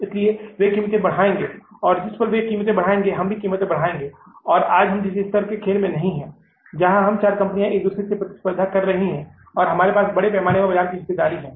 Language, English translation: Hindi, And when the moment they check up the price, we will also jack up the price and we will now create a level playing field where all the four companies are competing with each other and they have the sizeable market share